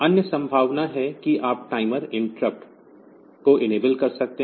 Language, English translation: Hindi, Other possibility is you can enable the timer interrupt